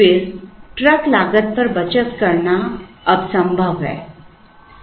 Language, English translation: Hindi, Then, it is possible now, to save on the truck cost